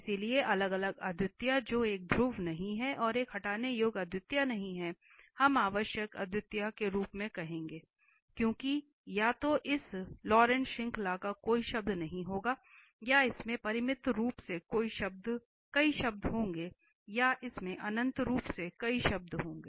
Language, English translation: Hindi, So, isolated singularity which is not a pole and not a removable singularity we will call as essential singularity, because either this Laurent series will have no term or it will have finitely many terms or it will have infinitely many terms